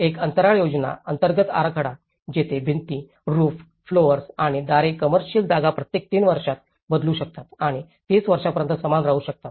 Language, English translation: Marathi, A space plan, an interior layout, where walls, ceilings, floors and doors go commercial spaces can change as often as every 3 years and remain the same for 30 years